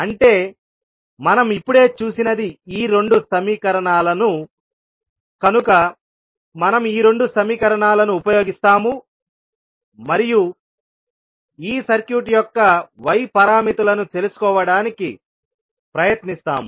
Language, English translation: Telugu, We will use the equations that is y parameters what we just saw means these two these two equations, so we will use these two equations and try to find out the y parameters of this circuit